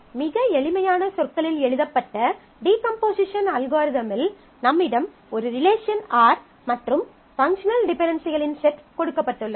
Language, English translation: Tamil, So, what do you have what is the decomposition algorithm very written in very simple terms you want to you have given a relation R and a set of functional dependencies that hold on you